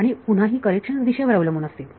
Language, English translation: Marathi, Again those corrections will be direction dependent